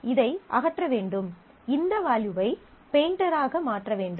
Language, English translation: Tamil, Then, I will need to remove this, make it a painter, make this value painter